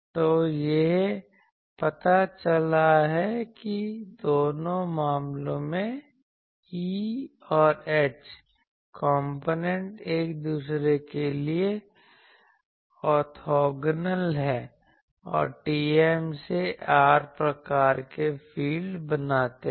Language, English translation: Hindi, So, it turns out that in both the cases the far E and H components are orthogonal to each other and form TM to r type of fields or mods model fields